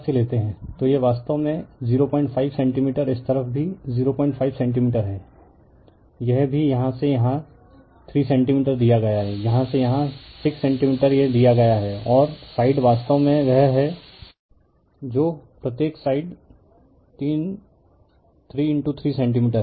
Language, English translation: Hindi, 5 centimeter this also it is given from here to here 3 centimeter from here to here it is 6 centimeter it is given right and side is actually your what you call sides are 3 into 3 centimeter each